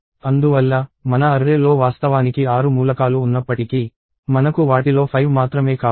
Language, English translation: Telugu, Therefore, even though my array has actually is 6 elements, I want only 5 of those